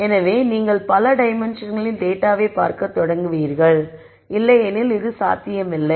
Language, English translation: Tamil, So, you start seeing data in multiple dimensions which is not possible otherwise